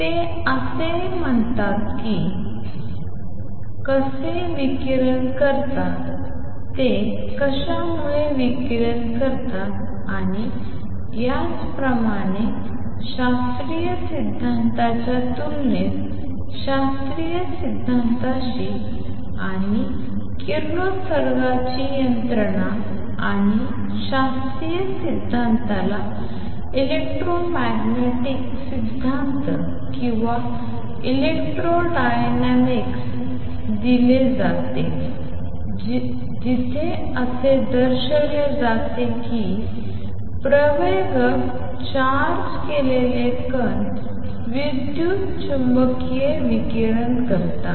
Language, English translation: Marathi, It has not been said how they radiate what makes them radiate and so on, contrast that with classical theory contrast this with classical theory and the radiation mechanism and classical theory is given an electromagnetic theory or electrodynamics where it is shown that an accelerating charged particle radiates electromagnetic radiation